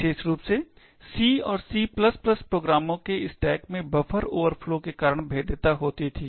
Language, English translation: Hindi, Specially, in C and C++ programs that vulnerability was caused due to buffer overflows in the stack